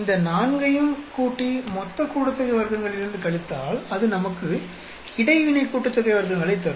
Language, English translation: Tamil, If you add all these four and subtract from total sum of squares that should give us interaction sum of squares